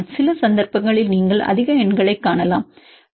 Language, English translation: Tamil, Some cases you can see higher numbers 0